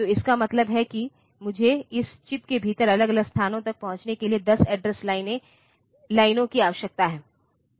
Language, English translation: Hindi, So, that means, I need 10 address lines to access individual locations within this chip